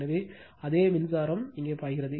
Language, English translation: Tamil, So, same current is flowing here